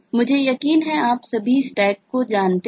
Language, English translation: Hindi, i am sure all of you know stack